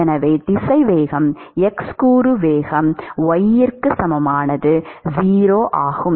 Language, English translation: Tamil, So, the velocity, x component velocity at y equal to 0, is 0